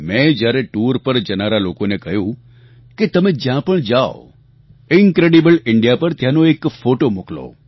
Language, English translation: Gujarati, I asked people who were planning to go travelling that whereever they visit 'Incredible India', they must send photographs of those places